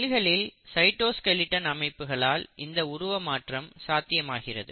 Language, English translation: Tamil, So this is possible because of this property of cytoskeleton